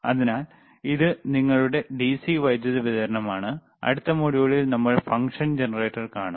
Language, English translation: Malayalam, So, this is the starting, which is your DC power supply, and next module we will see the function generator, all right